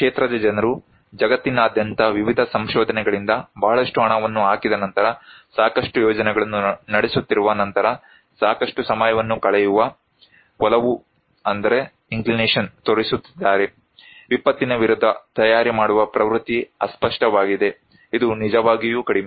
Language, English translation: Kannada, People from the field, from various research across the globe is showing that after putting a lot of money, running a lot of projects, spending a lot of time, the inclination; the tendency of the people to prepare against disaster is elusive, it is really low